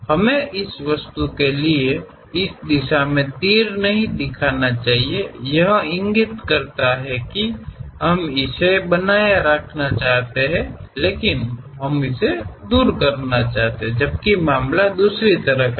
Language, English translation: Hindi, We should not show arrows in this direction for this object; it indicates that we want to retain this, but we want to remove it, whereas the case is the other way around